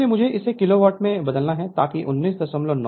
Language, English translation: Hindi, So, I have to converted in to kilo watt right, so that is 19